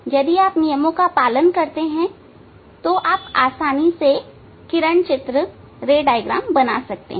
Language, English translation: Hindi, if you follow some rules then it is easy to draw the ray diagram